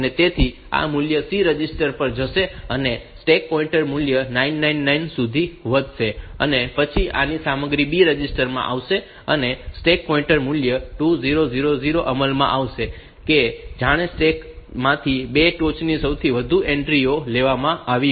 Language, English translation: Gujarati, So, this value will go to the C register stack pointer value will be incremented to 999, and then the content of this will come to the B register, and the stack pointer value will be implemented 2000; as if 2 top most entries have been taken out from the stack